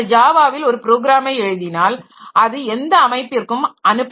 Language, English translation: Tamil, So, Java, if you write a program in Java, then that can be ported to any system